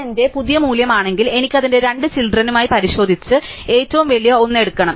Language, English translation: Malayalam, So, if this is my new value, I have to check with its two children and take the biggest one up